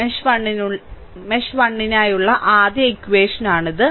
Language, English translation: Malayalam, This is a first equation for mesh 1